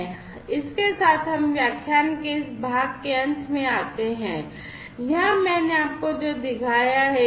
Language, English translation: Hindi, With this we come to an end of this part of the lecture